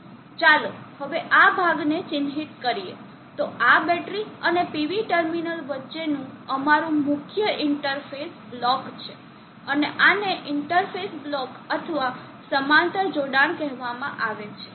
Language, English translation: Gujarati, So now let us mark of this portion, so this is our main interface block between the battery and the PV terminal and this is called the interface block or parallel connection